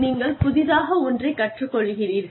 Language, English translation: Tamil, You learn something new